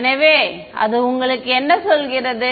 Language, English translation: Tamil, So, what does that tell you